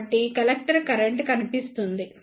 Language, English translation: Telugu, So, the collector current will appear